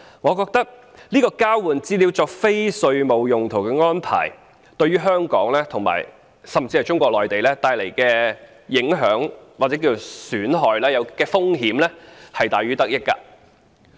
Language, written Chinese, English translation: Cantonese, 我覺得這項交換資料作非稅務用途的安排對香港，甚至是中國內地構成的影響、損害及風險是大於得益的。, I think for Hong Kong and even for Mainland China the impacts losses and risks arising from such an arrangement of using the exchanged information for non - tax related purposes outweigh its gains